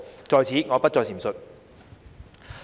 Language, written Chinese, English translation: Cantonese, 在此，我不再贅述。, I will not repeat the details here